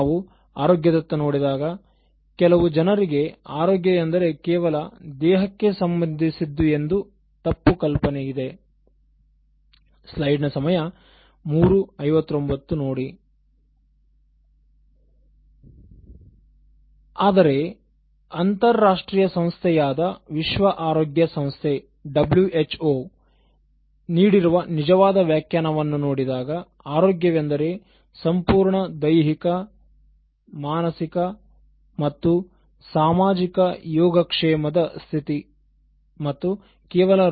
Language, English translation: Kannada, If you look at health as such, some people have a wrong impression that health is something to do with just body, but if you go to the actual definition given by an international organization like the World Health Organization, WHO it defines health as “a state of complete physical, mental, and social well being and not merely the absence of disease or infirmity